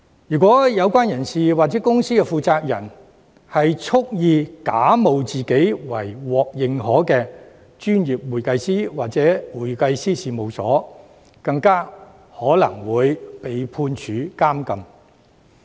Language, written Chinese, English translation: Cantonese, 如果有關人士或公司的負責人蓄意假冒自己為獲認可的專業會計師或會計師事務所，更有可能會被判處監禁。, If an individual or the person - in - charge of the company wilfully pretends to be a certified professional accountant or a firm of public accountants the person in question may even be liable to imprisonment